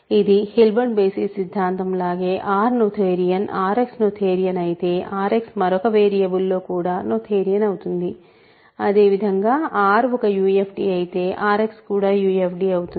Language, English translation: Telugu, So, if because this is just like Hilbert basis theorem if R is noetherian, R X is noetherian then R X another variable is also noetherian; similarly if R is a UFD R X is UFD